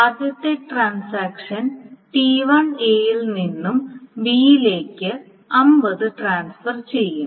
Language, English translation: Malayalam, So, the first one, transaction T1 transfers 50 from A to B